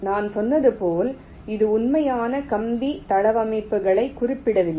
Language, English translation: Tamil, in this step, as i said, it does not specify the actual wire layouts